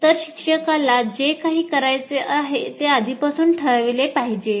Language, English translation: Marathi, So, anything a teacher wants to do, it has to be planned in advance